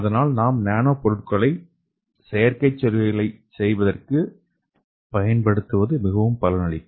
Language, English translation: Tamil, So that is why when you use that nanomaterials for constructing artificial cells that could be more beneficial